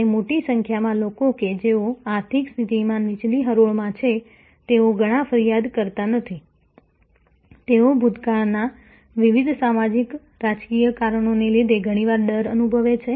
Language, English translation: Gujarati, And a large number of people who are in the lower ranks of the economic pyramid, they many not complain, they feel diffident often, because of various past socio political reasons